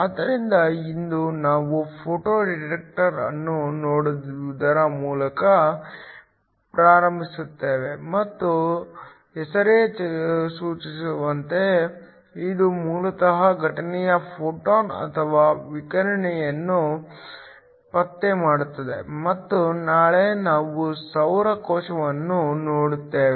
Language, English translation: Kannada, So, today we will start by looking at the Photo detector and as the name implies it basically detects incidence photons or radiation, and then tomorrow we will look at Solar cell